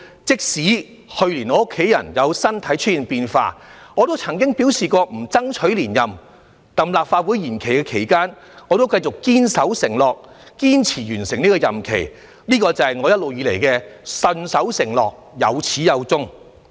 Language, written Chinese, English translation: Cantonese, 即使去年我家人身體出現變化，我亦曾表示不會爭取連任，但在立法會延長任期期間，我繼續堅守承諾，堅持完成整個任期，這便是我一直以來信守的承諾，有始有終。, Last year my family member had some health problems and I said that I would not stand for another term . That said during the extension of this Legislative Council term I have continued to stand by my promise and completed the entire term . That is the promise I have always kept from the beginning to the end